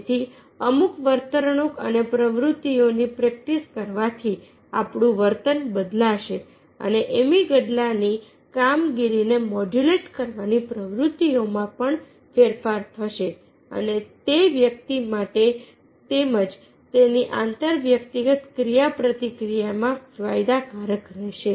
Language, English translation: Gujarati, so thereby practising certain behaviour and activities, as mentioned, that will change our behaviour and also modulate the activities of the, modulate the functioning of the amygdala, and that will be beneficial for the individual as well as in his interpersonal interaction